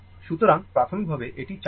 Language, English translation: Bengali, So, initial it was uncharged